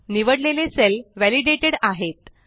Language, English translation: Marathi, The selected cells are validated